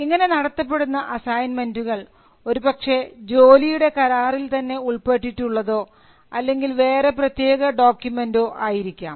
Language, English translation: Malayalam, So, an assignment can be by way of an employment contract or they can be a specific document of assignment